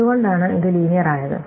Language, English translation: Malayalam, Why is it linear